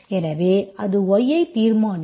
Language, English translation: Tamil, So that will determine my y